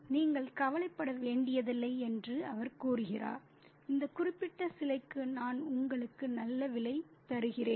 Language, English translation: Tamil, And he says that you don't have to worry, I'll give you a good price for this particular statue